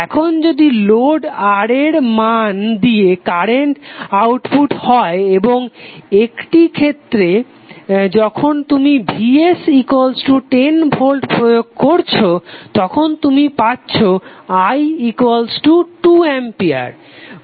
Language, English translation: Bengali, Now if current through the load R is the output and in one case when you apply Vs equal to 10 volt we get current as 2 Mpi